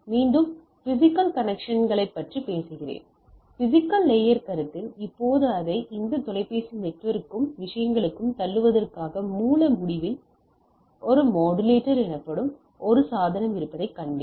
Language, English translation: Tamil, So, again we are talking about the physical connects, physical layer consideration right, now in order to have this to push it to this telephone network and type of things, we have seen there is a we require a device called modulator at the at our end at that the source end